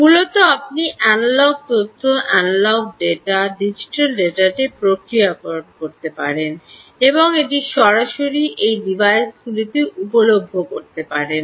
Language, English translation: Bengali, essentially, ah, you could be processing the analogue information, analogue dada, into digital data and making it available directly onto these devices